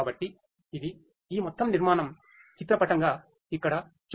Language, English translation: Telugu, So, this is this overall architecture pictorially it is shown over here